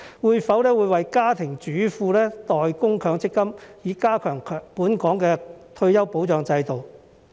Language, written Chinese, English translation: Cantonese, 會否為家庭主婦代供強積金，以加強本港的退休保障制度？, Will the Government pay MPF contributions for housewives with a view to refining the retirement protection system in Hong Kong?